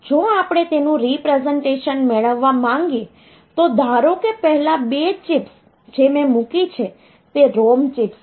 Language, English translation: Gujarati, So, if we want to get it representation so suppose first to 2 chips that I put so they are the ROM chips